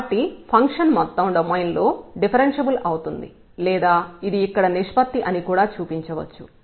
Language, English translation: Telugu, So, the function is differentiable in the whole domain or we can also show that this here the ratio